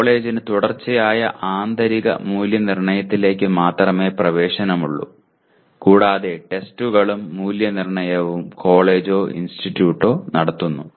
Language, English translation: Malayalam, Whereas the college has only access to Continuous Internal Evaluation and both the tests as well as evaluation is conducted by the college or by the institructor